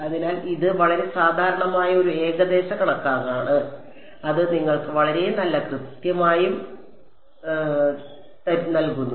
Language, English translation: Malayalam, So, this is a very common approximation that is used and that gives you very good accuracy also